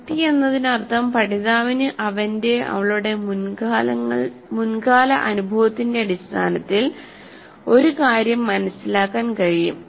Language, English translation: Malayalam, Making sense means the learner can understand an item on the basis of his past experience